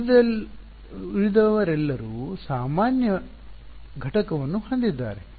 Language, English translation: Kannada, Yeah, everyone else has normal component